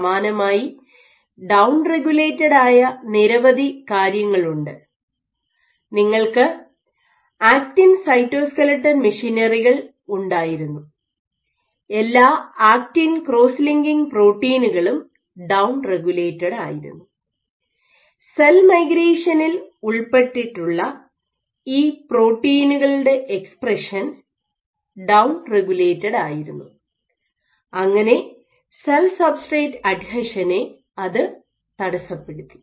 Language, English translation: Malayalam, So, when I say up regulated this is up regulated which respect to the elongated geometry similarly there were several things which were down regulated you had actin cytoskeleton machinery, all the actin cross linking proteins were down regulated proteins involved in cell migration their expression was down regulated cell substrate adhesion was perturbed so on and so forth